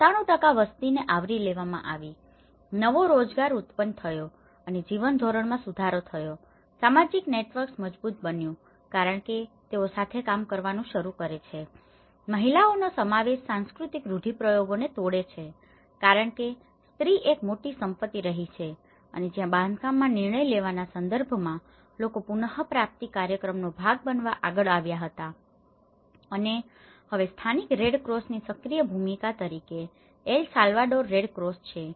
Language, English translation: Gujarati, And, what are the direct impacts of this progressive housing, 97% of the population have been covered, new employment have been generated and improved the standard of living, strengthening the social networks because they start working together, breaking cultural stereotypes of women involvement because woman has been a major asset and where people were came forward to be part of the recovery program in terms of decision making in the construction and the El Salvador Red Cross as active role the local Red Cross